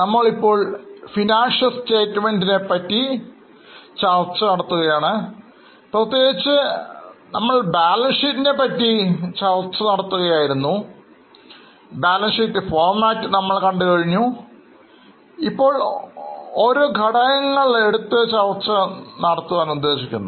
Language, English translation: Malayalam, So, we were discussing financial statements, particularly we were discussing balance sheet, we have also seen the format of balance sheet and now we are discussing each element of balance sheet